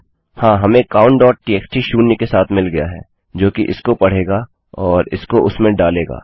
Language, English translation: Hindi, Yes, weve got count.txt with zero that will read this and put it into that